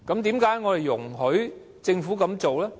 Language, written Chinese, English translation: Cantonese, 為何我們要容許政府這樣做？, Why should we allow the Government to do so?